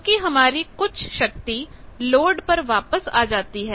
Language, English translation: Hindi, So, again some of that power will come back to the load